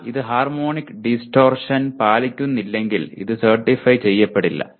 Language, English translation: Malayalam, But if it does not meet the harmonic distortion it will not be certified